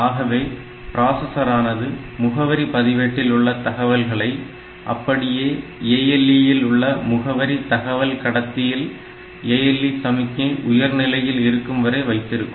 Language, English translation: Tamil, So, that the processor will keep the content of this address register available on the ALE on this address bus, till this ALE signal is high